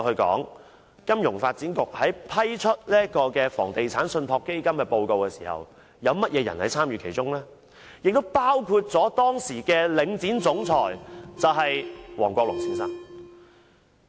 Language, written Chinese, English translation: Cantonese, 金發局在批準就房地產信託基金作出報告時，參與其中的人包括了當時的領展總裁王國龍先生。, Mr George HONGCHOY Chief Executive Officer of Link REIT has participated in the approval of the preparation of the report on REITs